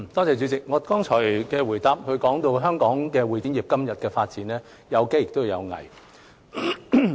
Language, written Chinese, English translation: Cantonese, 主席，我剛才的答覆談到香港會展業今天的發展，有機亦有危。, President in my reply given just now I mentioned that the current development of the CE industry in Hong Kong has opportunities as well as challenges